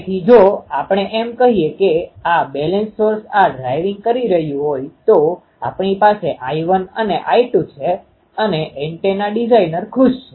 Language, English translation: Gujarati, So, if we can make this balance source is driving this then we have I 1 and I 2 and the antenna designer is happy